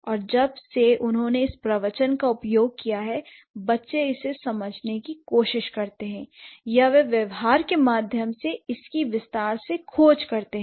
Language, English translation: Hindi, And since they have used it in the discourse, the children they tried to understand it or they got to discover it through the pragmatic extension